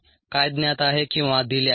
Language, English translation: Marathi, this is what is known